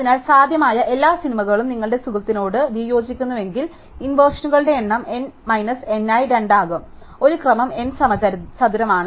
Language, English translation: Malayalam, So, if every possible movie you disagree with your friend, then the number of inversions will be n into n minus n by 2, which is an order n squared